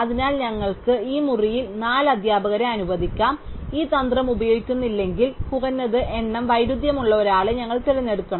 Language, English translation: Malayalam, So, we can allocate four teachers in this room, if we do not use this strategy, then we must pick the one with the minimum number of conflicts